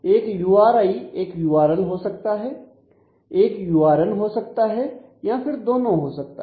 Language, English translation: Hindi, So, a URI can be either a URL or a URN or it could be both